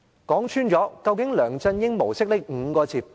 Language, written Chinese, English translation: Cantonese, 究竟甚麼是"梁振英模式"呢？, What exactly is the LEUNG Chun - ying Model?